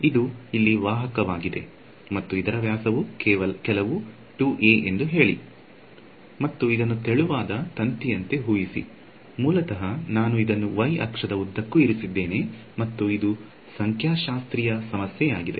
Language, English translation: Kannada, It is a conductor and diameter over here is say some 2 a, imagine is like a thin wire basically that I have placed along the y axis and it is a statics problem